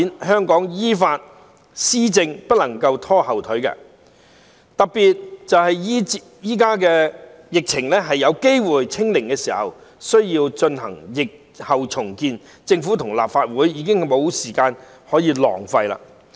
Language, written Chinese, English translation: Cantonese, 香港依法施政不能夠被拖後腿，特別現在疫情有機會"清零"時更需要進行疫後重建，政府和立法會已經無時間可以浪費了。, Hong Kongs law - based administration cannot be encumbered especially now when there is a chance of achieving zero infection regarding the epidemic it is of an even greater need to engage in post - epidemic rebuilding . The Government and the Legislative Council have no time to waste